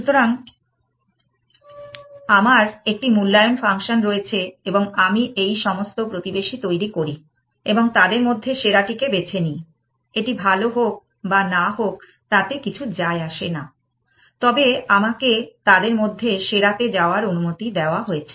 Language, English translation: Bengali, So, I have a valuation function and I generate all this neighbors and just move to the best amongst them, does not matter, whether it is better or not, but I am allowed to move to the best amongst them